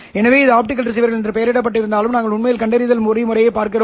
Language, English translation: Tamil, So, although this is titled as optical receivers, we are really looking at the detection mechanisms